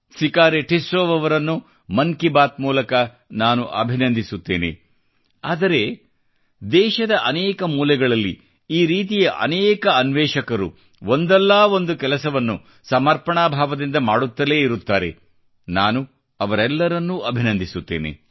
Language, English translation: Kannada, I of course congratulate Shriman Sikari Tissau ji through 'Mann Ki Baat', but in many corners of the country, there will be many seekers like this slogging in such initiatives and I also congratulate them all